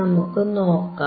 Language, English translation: Malayalam, Let us see